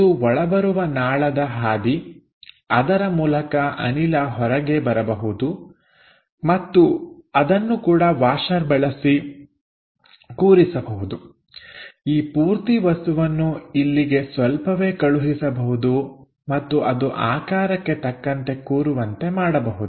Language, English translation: Kannada, This is the inlet pipeline through which gas might be coming out and here also we will have a washer to slightly fix it, so that these entire object can be slightly moved here and there to align with the geometry